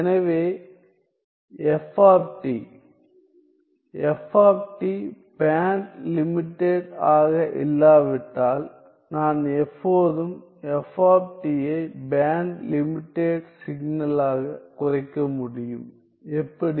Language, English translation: Tamil, So, f t, if f t is not band limited, I can always reduce f t to a band limited signal, how